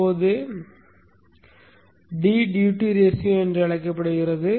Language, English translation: Tamil, Now D is called the duty ratio